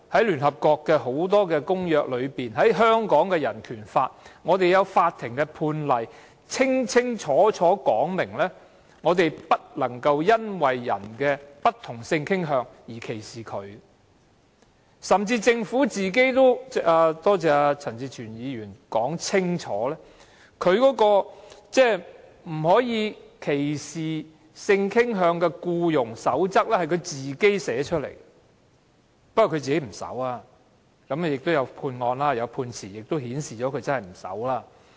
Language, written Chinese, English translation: Cantonese, 聯合國國際人權公約、《香港人權法案條例》、法庭判例等均清楚說明，不得因為別人的不同性傾向而作出歧視，政府甚至編製了——多謝陳志全議員說明——《消除性傾向歧視僱傭實務守則》，不過政府本身不遵守，而且亦有判例顯示政府不遵守。, The United Nations International Bill of Human Rights the Hong Kong Bill of Rights Ordinance and court judgments have all made it clear that discrimination against people with different sexual orientation is not acceptable . The Government has even compiled the Code of Practice against Discrimination in Employment on the Ground of Sexual Orientation as explained by Mr CHAN Chi - chuen although the Government itself does not comply with it and there are court judgments that show to this effect